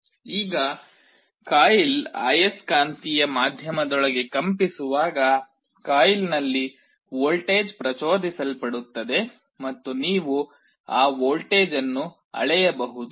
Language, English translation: Kannada, Now, as the coil vibrates inside a magnetic medium, a voltage will be induced in the coil and you can measure that voltage